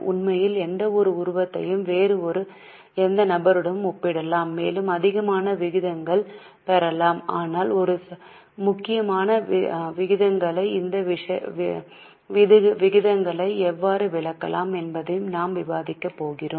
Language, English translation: Tamil, In fact, any figure can be compared with any other figure and we can get more and more ratios but we are going to discuss some important ratios and how these ratios can be interpreted